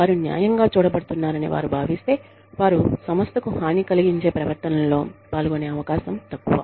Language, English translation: Telugu, If they feel, that they are being treated fairly, they are less likely to engage in behaviors, that can be detrimental, to the organization